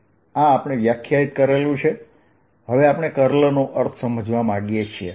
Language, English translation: Gujarati, now we want to understand the meaning of curl